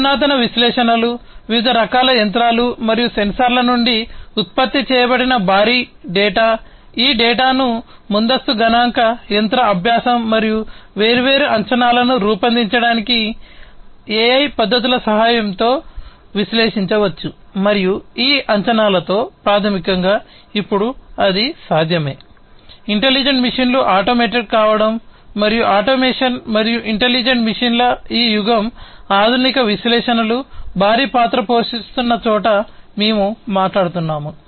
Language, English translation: Telugu, Advanced analytics the huge data that are generated from different kinds of machines and sensors, these data can be analyzed with the help of advance statistical machine learning and AI techniques to make different predictions and, within with these predictions, basically, it is now possible to have intelligent machines being automated and this era of automation and intelligent machines that, we are talking about where advanced analytics can play a huge role